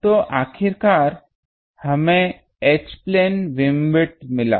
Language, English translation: Hindi, So, ultimately we got the H plane beam width is this